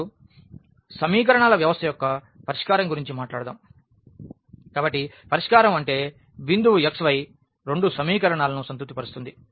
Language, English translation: Telugu, Now, talking about the solution of the system of equations; so solution means a point x y which satisfy satisfies both the equations